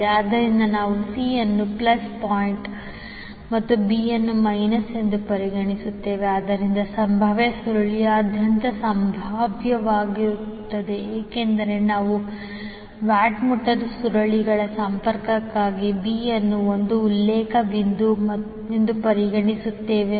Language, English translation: Kannada, So we will consider the c s plus point and b s minus so Vcb will be the potential across the potential coil because we consider b as a reference point for the connection of the watt meter coils